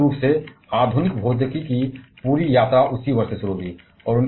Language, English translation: Hindi, And basically, the entire journey of modern physics started from that year onwards